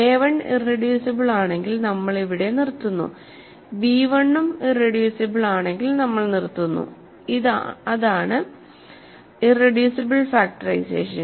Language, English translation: Malayalam, If a 1 is irreducible we stop here and if b1 is also irreducible we stop and that is the irreducible factorization